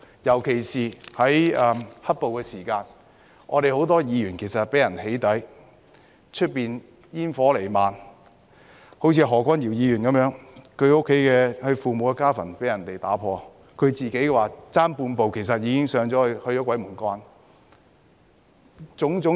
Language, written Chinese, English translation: Cantonese, 尤其是在"黑暴"期間，我們很多議員被人"起底"，外面煙火彌漫，以何君堯議員為例，他父母的家墳被人破壞，他自己差半步去了鬼門關。, In particular when black - clad violence ran rampant many of our Members were doxxed and there was a lot of smoke and fires outside . In the case of Dr Junius HO his parents graves were desecrated and he himself was halfway to the gates of hell